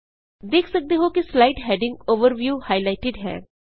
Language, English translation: Punjabi, Notice that the slide heading Overview is highlighted